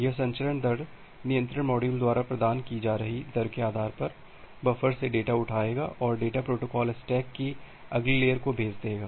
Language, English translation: Hindi, It will pick up the data from the buffer based on the rate that is being provided by the transmission rate control module and the data will be send to the next layer of the protocol stack